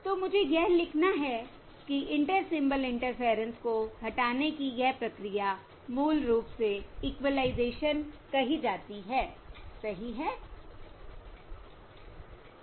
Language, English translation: Hindi, So let me write that down: removing, removing inter, removing Inter Symbol Interference is termed as this process of removing Inter Symbol Interference is basically what is termed as Equalisation, Correct